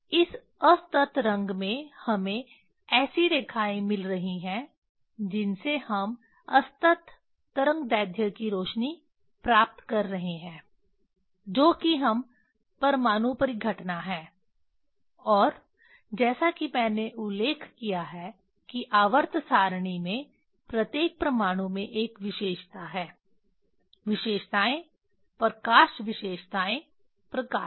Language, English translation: Hindi, this discrete color we are getting lines we are getting lights of discrete wavelength we are getting that is atomic phenomena and as I mentioned that each atom in the periodic table have a characteristics, characteristics light characteristics light